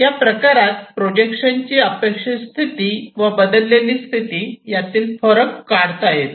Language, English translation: Marathi, And it differentiates between the expected position projection and the altered projection expected and the altered